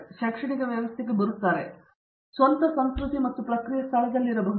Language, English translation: Kannada, And they are coming into an academic setting which may be has it is own culture and processes in place